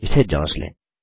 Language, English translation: Hindi, Lets check it